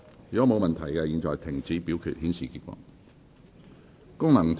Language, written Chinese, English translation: Cantonese, 如果沒有問題，現在停止表決，顯示結果。, If there are no queries voting shall now stop and the result will be displayed